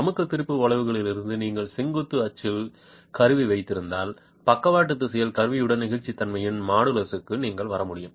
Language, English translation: Tamil, From the stress strain curve if you have instrumentation along the vertical axis you will be able to arrive at the modulus of elasticity with instrumentation in the lateral direction